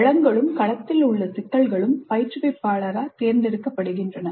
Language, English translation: Tamil, The domain as well as the problems in the domain are selected by the instructor